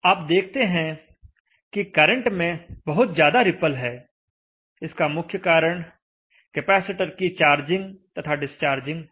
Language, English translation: Hindi, So you will see that there is lot of repel in the current, this is basically because of charging, discharging of the capacitance